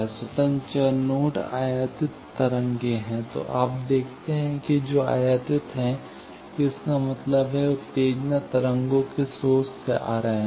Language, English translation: Hindi, Independent variable nodes are the incident waves; so, you see that, which are incident that means, the excitation waves are coming from the source of the waves